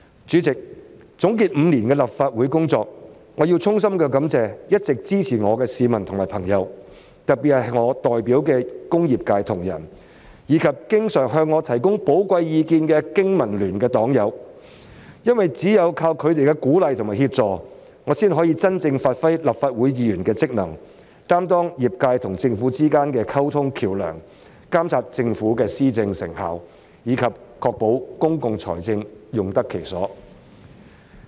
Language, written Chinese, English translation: Cantonese, 主席，總結5年的立法會工作，我要衷心感謝一直支持我的市民和朋友，特別是我代表的工業界同仁，以及經常向我提供寶貴意見的經民聯黨友，因為只有藉着他們的鼓勵和協助，我才可以真正發揮立法會議員的職能，擔當業界和政府之間的溝通橋樑，監察政府的施政成效，以及確保公共財政用得其所。, President when summarizing my work in the Legislative Council over the past five years I must express my heartfelt gratitude to citizens and friends who have always granted me their support especially fellow trade members in the industrial sector which I represent as well as fellow Members from the Business and Professionals Alliance for Hong Kong who have often offered me their valuable opinions . It is only with their encouragement and assistance that I can really play my role as a Member of the Legislative Council be a bridge of communication between the sector and the Government monitor the effectiveness of governance of the Government and ensure value for money in the use of public funds